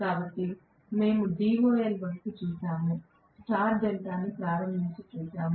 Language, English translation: Telugu, So we looked at DOL, we looked at star delta starting